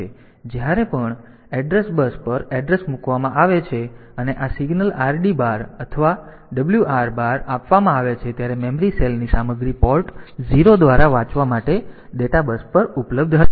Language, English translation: Gujarati, So, whenever the address is put on to the address bus and this signals read bar or write bar is given the content of the memory cell will be available on the data bus to be read by Port 0